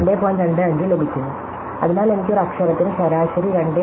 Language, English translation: Malayalam, 25, so it says that I need an average 2